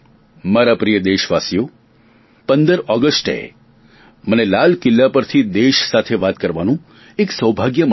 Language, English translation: Gujarati, Dear countrymen, I have the good fortune to talk to the nation from ramparts of Red Fort on 15thAugust, it is a tradition